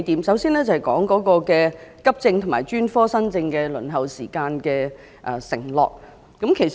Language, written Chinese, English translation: Cantonese, 首先，我想談談為急症和專科新症的輪候時間制訂服務承諾。, First I wish to speak on the performance pledge on the waiting time for accident and emergency cases and new cases for specialist services